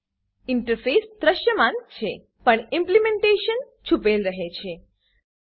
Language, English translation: Gujarati, The interface is seen but the implementation is hidden